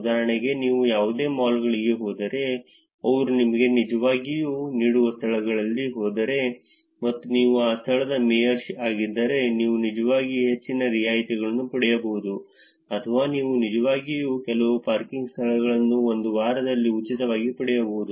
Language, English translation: Kannada, For example, if you go to any malls, if you go to places they are actually giving you and if you are a mayor of that location you can actually get more discounts or you can actually get some parking spots free for a week or so